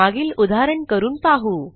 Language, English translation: Marathi, Let us try the previous example